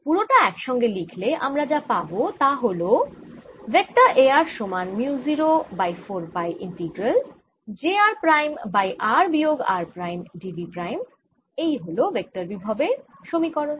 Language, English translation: Bengali, to write it altogether, what i have is then: a vector at r is given as mu naught over four pi integral j vector r at r prime over r minus r prime d v prime